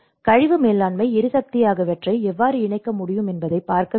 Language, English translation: Tamil, So, we need to see how we can incorporate the waste management, energy